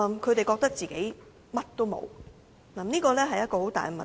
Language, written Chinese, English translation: Cantonese, 他們覺得自己甚麼也沒有，這是一個很大的問題。, They feel that they cannot get anything and this is a major problem